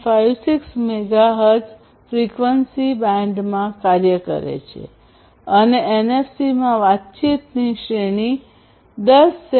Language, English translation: Gujarati, 56 megahertz frequency band, and the range of communication in NFC is less than 10 centimeters